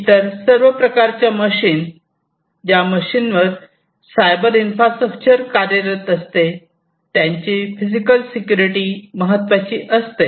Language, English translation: Marathi, So, other all kinds of machines the physical security of the machines on which the cyber infrastructure operate